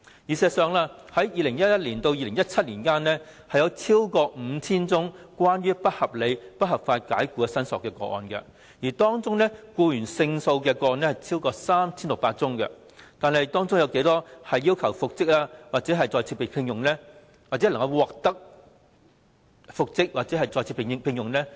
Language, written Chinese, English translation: Cantonese, 事實上，由2011年至2017年，有超過 5,000 宗不合理及不合法解僱的申索個案，當中僱員勝訴的個案超過 3,600 宗，但當中有多少宗要求復職或再次聘用的個案，僱員獲得復職或再次被聘用？, In fact from 2011 to 2017 among more than 5 000 applications regarding unreasonable and unlawful dismissals judgment in favour of the employees were granted in more than 3 600 cases . However how many employees in these cases were reinstated or re - engaged as requested? . Members could have guessed the answer none